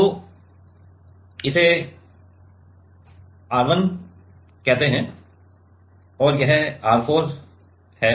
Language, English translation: Hindi, So, this is let us say R 1 and this is R 4